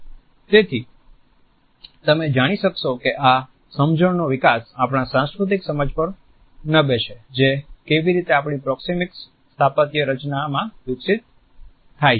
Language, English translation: Gujarati, So, you would find that these understandings are developed on the basis of our cultural understanding of how proxemics is to be unfolded in our architectural designs